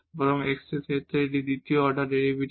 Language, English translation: Bengali, Similarly, we can compute the second order derivative